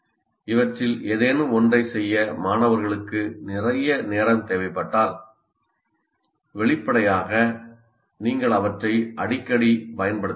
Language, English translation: Tamil, If students require a lot of time to do any of these things, obviously you cannot frequently use